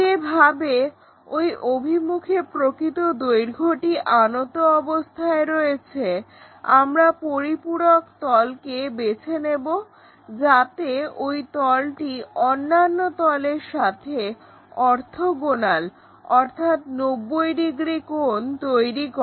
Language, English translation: Bengali, So, the way how this true length is aligned in that direction we pick this auxiliary plane, so that this plane may make orthogonal or 90 degrees with the other planes